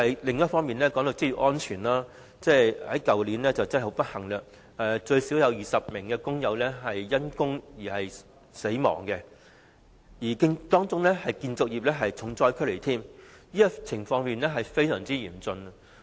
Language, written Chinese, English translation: Cantonese, 另一方面，談到職業安全，去年最少有20名工友不幸因工死亡，當中建造業是重災區，情況非常嚴峻。, On another note as regards occupational safety at least 20 workers unfortunately lost their lives at work last year with the construction industry being the hardest hit; it was a grim situation